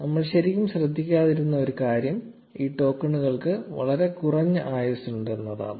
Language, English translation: Malayalam, One thing we did not really pay attention to was that these tokens have a very short life span